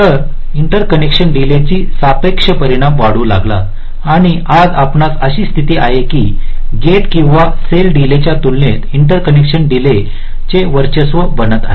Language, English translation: Marathi, so the relative impact of the interconnection delays started to increase and today we have a situation where the interconnection delay is becoming pre dominant as compare to the gate or cell delays